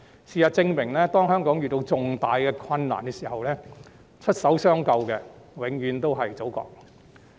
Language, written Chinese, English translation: Cantonese, 事實證明，當香港遇到重大困難的時候，出手相救的永遠都是祖國。, Facts have proved that when Hong Kong encounters major difficulties it is always our Motherland that comes to our rescue